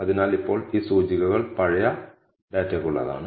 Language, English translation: Malayalam, So, now, these indices are for the old data